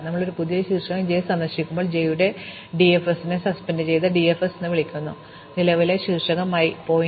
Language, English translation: Malayalam, So, whenever we visit a new vertex j, we call DFS of j and suspend DFS of the current vertex i